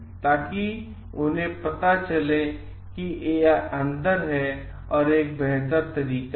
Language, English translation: Hindi, So, that they get to know this is in a better way